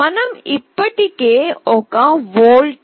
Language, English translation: Telugu, I have already told that we can apply a voltage 0